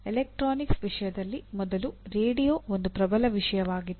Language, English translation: Kannada, In the case of electronics you can see earlier radio was a dominant thing